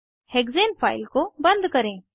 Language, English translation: Hindi, Lets close the hexane file